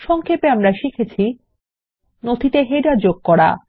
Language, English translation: Bengali, In this tutorial we will learn: How to insert headers in documents